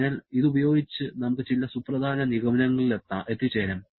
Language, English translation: Malayalam, So, with this we can have a few important conclusions